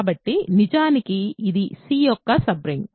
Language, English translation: Telugu, So, actually this is a sub ring of C right